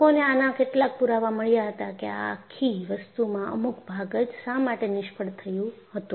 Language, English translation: Gujarati, So, people had found some evidence why the whole thing failed in a particular portion